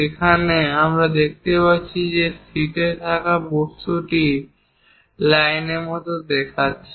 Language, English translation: Bengali, Here, we can see that the object on the sheet looks like that with lines